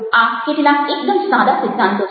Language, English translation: Gujarati, these are some very simple principle